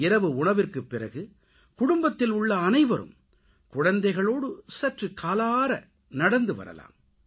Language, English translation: Tamil, After dinner, the entire family can go for a walk with the children